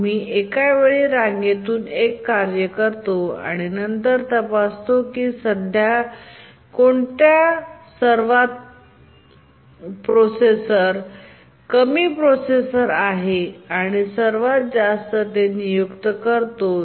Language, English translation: Marathi, We take out one task from the queue at a time and check which is the processor that is currently the most underutilized processor